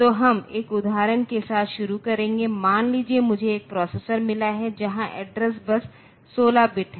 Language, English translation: Hindi, So, we will start with an example suppose I have got a processor to the CPU where the address bus is 16 bit